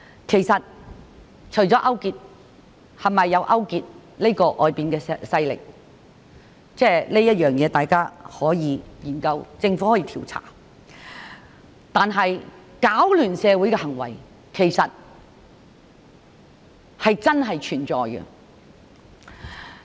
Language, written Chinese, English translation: Cantonese, 其實，是否有人勾結外國勢力，大家可以研究，政府可以調查；但是，攪亂社會的行為是真正存在的。, In fact we should find out if anyone has collaborated with foreign powers and the Government can conduct investigations . In any case there are really acts that disrupt the society